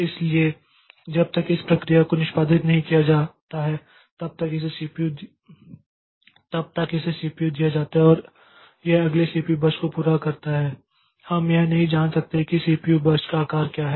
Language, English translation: Hindi, So, until unless the process has executed, so it is given the CPU and it completes the next CPU burst, we cannot know what is the size of the CPU burst